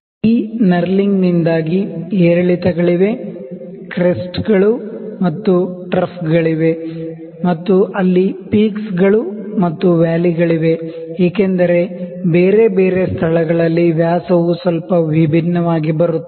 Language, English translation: Kannada, Because of this knurling, so, there are ups and downs, there are crests and troughs, there are peaks and valleys there because of this at different locations the dia coming a little different